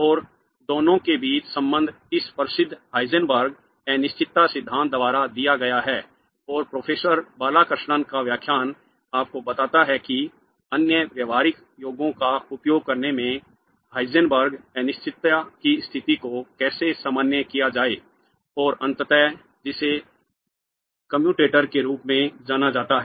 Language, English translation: Hindi, And the relation between the two is given by this famous Heisenberg's uncertainty principle and Professor Wallachshishna's lecture tells you how to generalize the Heisenberg's uncertainty states in using other classical formulations and eventually what is known as the commutator